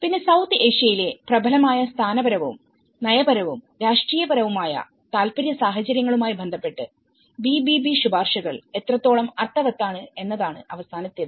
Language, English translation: Malayalam, Then, the last one is how meaningful the BBB recommendations are in relation to prevalent institutional and policy and political interest scenarios in South Asia